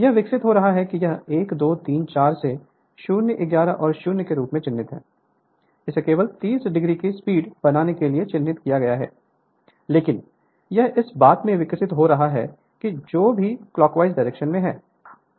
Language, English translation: Hindi, So, it is evolving it is marked 1, 2, 3, 4 up to your 0, 11, and 0 it is marked just to make a 30 degree speed, but it is evolving in that your what you call here in that your what clockwise direction